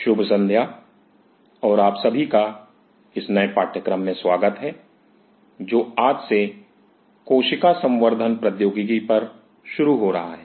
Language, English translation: Hindi, Good evening, and welcome you all to this new course which will be starting today on cell culture technology